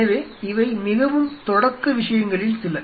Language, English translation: Tamil, So, these are some of the very beginning